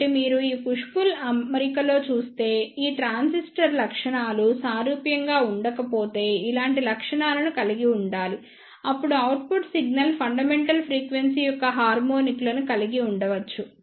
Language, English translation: Telugu, So, if you see in this push pull arrangement this transistor should be of similar properties if the properties are not similar then the output signal may contains the harmonics of the fundamental frequency